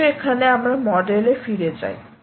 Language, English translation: Bengali, so lets go back to the model here